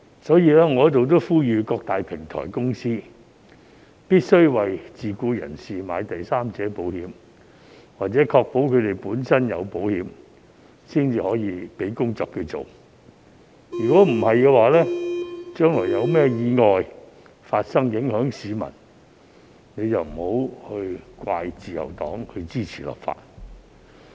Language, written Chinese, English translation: Cantonese, 所以，我在此呼籲各大平台公司必須為自僱人士購買第三者保險，或確保他們本身有購買保險，才給予他們工作，否則將來發生任何意外影響到市民，便不要怪責自由黨支持立法。, I therefore call on major platform companies here to mandatorily take out third - party insurance for self - employed workers or to ensure that these workers have taken out accident insurance for themselves before offering jobs to them . In case of their omission in this respect and future accidents involving members of the public the Liberal Party should not be blamed for supporting the introduction of legislation in this respect then